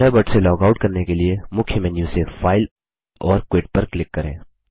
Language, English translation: Hindi, To log out of Thunderbird, from the Main menu, click File and Quit